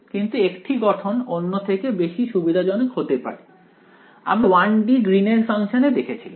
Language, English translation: Bengali, But one form may be more convenient than the other like; we saw the greens function in 1 D